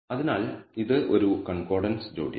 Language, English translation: Malayalam, So, it is a concordant pair